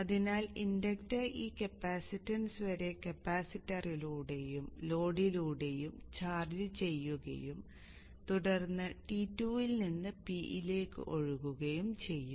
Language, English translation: Malayalam, So the inductor will charge up this capacitance in this way through the capacitor and the load and then go from T to P